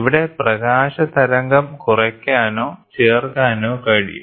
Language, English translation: Malayalam, So, here the light wave can be subtracted or added